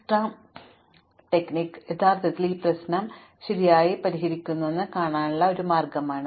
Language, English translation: Malayalam, So, this is a way to show that Dijkstra greedy strategy actually solves this problem correctly